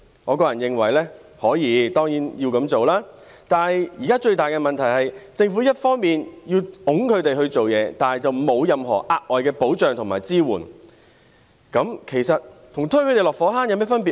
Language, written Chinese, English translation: Cantonese, 我個人認為當然可以這樣做，但現在最大的問題是，政府既要推動他們工作，但卻沒有提供任何額外保障和支援，試問這跟推他們落火坑有何分別呢？, Personally I think that this can certainly be done but the greatest problem lies in the fact that although the Government wants these people to work it has not provided any additional protection or support for them so may I ask how this is different from pushing them into a fire pit?